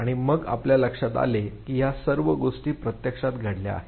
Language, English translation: Marathi, And then you realize that all of these things actually took place